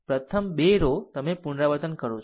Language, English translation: Gujarati, First 2 row you repeat